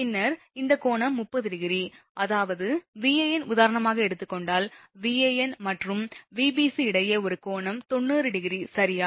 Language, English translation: Tamil, Then this angle also 30 degree right; that means, if you take your Van as a reference for example, an angle between Van and Vbc is 90 degree right